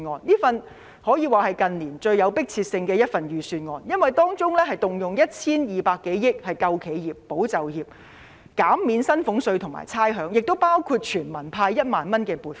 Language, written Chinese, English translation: Cantonese, 這份可算是近年最有迫切性的預算案，因為當中動用 1,200 多億元"救企業，保就業"，減免薪俸稅和差餉，亦包括全民派發1萬元。, This Budget can be regarded as the most urgently needed one in recent years because more than 120 billion will be used to support enterprises safeguard jobs implement measures to reduce salaries tax and rates as well as to effect a universal cash payout of 10,000